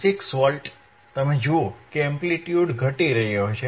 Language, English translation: Gujarati, 96 Volts, you see the amplitude is decreasing